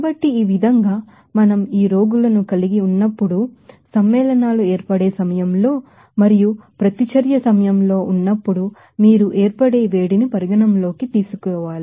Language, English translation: Telugu, So, in this way again we can say that whenever we are having these patients are during the formation of the compounds and also the reaction then you have to consider that heat of formation